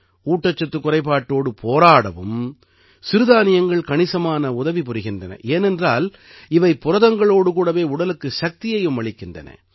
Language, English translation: Tamil, Millets are also very beneficial in fighting malnutrition, since they are packed with energy as well as protein